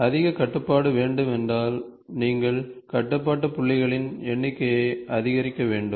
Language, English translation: Tamil, So, what you have do is, you have to keep increasing the number of control points